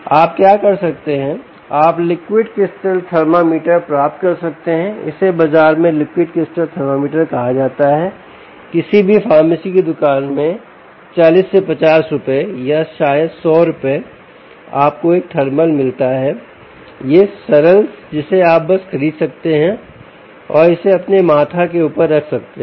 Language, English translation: Hindi, what you could do is you could get liquid crystal thermometer its called liquid crystal thermometer in the market in any pharmacy shop forty, fifty rupees or maybe hundred rupees you get a thermal this ah, simple, ah ah which you can simply buy it off and put it on your forehead